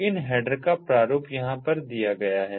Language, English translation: Hindi, the format of these headers are given over here